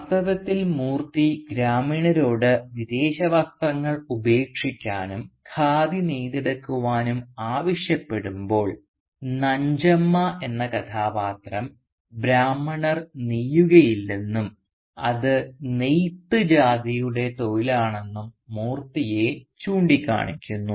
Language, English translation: Malayalam, In fact when Moorthy asks the villagers to shun the foreign clothes and to weave Khadi for themselves a character called Nanjamma points out Moorthy that Brahmins do not spin and that such spinning is properly the occupation of the weaver caste